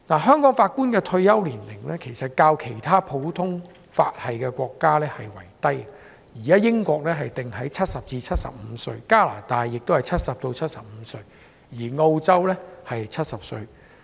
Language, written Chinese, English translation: Cantonese, 香港法官的退休年齡較其他普通法系的國家為低，例如英國法官的退休年齡定為70至75歲，加拿大也是70至75歲，而澳洲是70歲。, The retirement age of Judges in Hong Kong is lower than that of other common law jurisdictions for example the retirement age of judges in the United Kingdom is between 70 and 75; Canada is the same between 70 and 75 and Australia 70